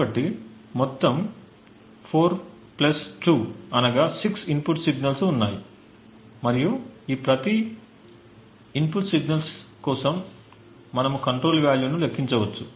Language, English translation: Telugu, So, there are a total of 4 plus 2 that is 6 input signals and for each of these input signals we can compute the control value